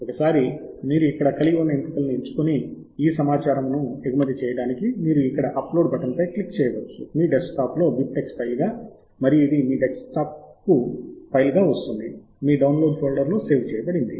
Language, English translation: Telugu, once you have chosen the options here, then you can click on the button export here to export this data as a bib tech file onto your desktop, and it will come to your desktop as a file that can be saved in your downloads folder